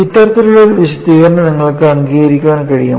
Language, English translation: Malayalam, Can you agree to this kind of an explanation